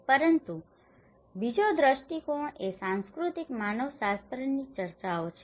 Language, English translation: Gujarati, But the second perspective is discusses from the cultural anthropology